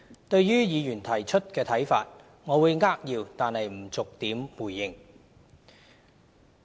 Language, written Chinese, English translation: Cantonese, 對於議員提出的看法，我會扼要但不逐點回應。, Instead of replying to Members views point by point I will give a brief response